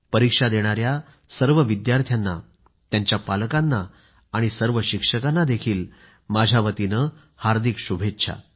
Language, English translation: Marathi, My best wishes to all the students who're going to appear for their examinations, their parents and all the teachers as well